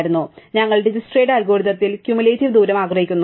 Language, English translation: Malayalam, So, we in Dijkstra's algorithm, we want cumulative distance